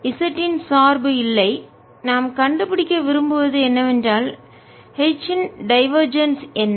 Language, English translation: Tamil, there is no z dependence and what we want to find is what is divergence of h